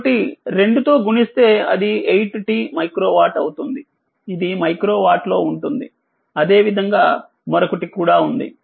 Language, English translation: Telugu, So, multiplied by 2 it will be 8 t micro watt right, it is in micro watt and there are another one similarly